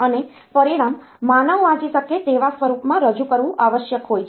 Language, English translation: Gujarati, The result must be presented in a human readable form